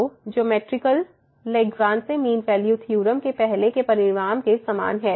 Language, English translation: Hindi, So, now the geometrical meaning is similar to the earlier result on Lagrange mean value theorem